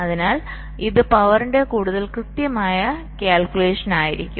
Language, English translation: Malayalam, so this will be a more accurate calculation of the power, right